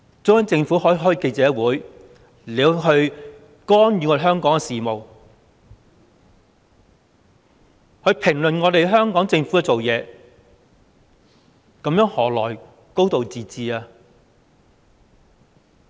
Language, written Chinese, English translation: Cantonese, 中央政府可以召開記者會，干預香港的事務，評論香港政府的工作，這樣何來"高度自治"？, The Central Government can hold press conferences to intervene in Hong Kongs affairs and comment on the work of the Hong Kong Government so how can there be a high degree of autonomy?